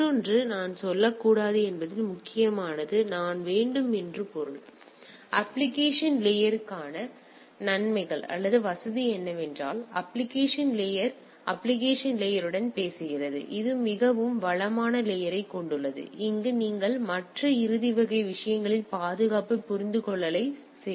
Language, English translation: Tamil, And the other the major one of the I should not say means I should; I it maybe advantages or convenience for the application layer is the application layer talks to the application layer it has a more resourceful layer where you can do security decipher at the other end type of things right